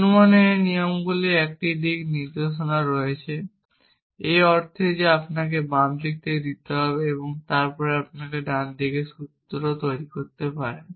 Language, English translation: Bengali, This rules of inference have a sense of direction in the sense that you have to be given the on the left hand side and then you can produce the formula on the right hand side